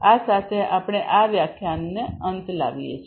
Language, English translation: Gujarati, With this we come to an end